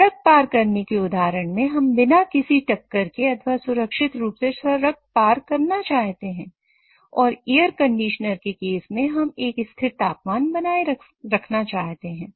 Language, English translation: Hindi, In the case of crossing the road, we want to cross the road without getting hit or cross the road safely or in the case of air conditioner, we want to maintain a constant temperature